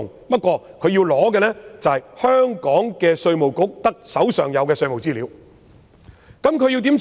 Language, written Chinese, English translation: Cantonese, 他們如要索取香港稅務局所持有的稅務資料該怎樣做？, What should they do in order to obtain tax information kept by IRD of Hong Kong?